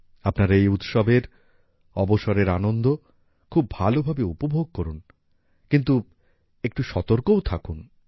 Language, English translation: Bengali, Enjoy these festivals a lot, but be a little cautious too